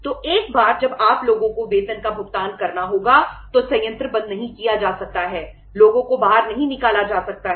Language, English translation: Hindi, So once you have to pay the salaries to the people the plant cannot be shut, the people cannot be thrown out